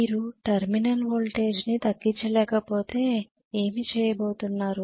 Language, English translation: Telugu, If you cannot decrease the terminal voltage what are you going to do